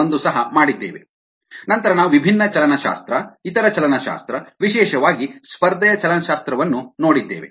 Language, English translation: Kannada, two point one: then we looked at different kinetics, other kinetics, especially the competition kinetics